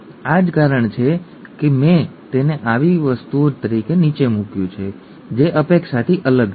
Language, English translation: Gujarati, That is the reason why I have put it down as something that is different from expected